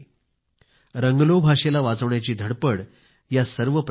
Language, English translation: Marathi, There is an effort to conserve the Ranglo language in all this